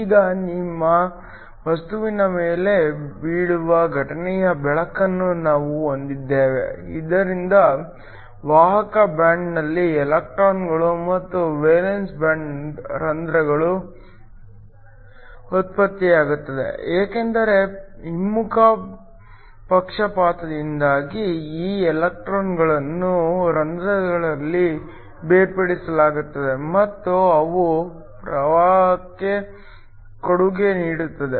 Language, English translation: Kannada, Now, we have incident light that falls on your material, so that generates electrons in the conduction band and holes in the valence band, because of a reverse bias these electrons in holes are separated and they contribute to the current